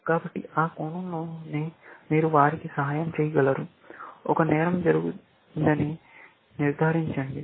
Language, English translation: Telugu, So, it is in that sense that you help them, establish that there was a crime, essentially